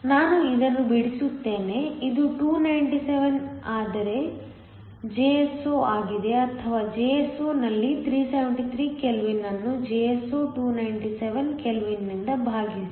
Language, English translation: Kannada, Let me just draw this right, this is 297 is nothing but Jso' or Jso at 373 kelvin divided by Jso 297 kelvin